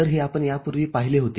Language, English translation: Marathi, So, this is what we had seen earlier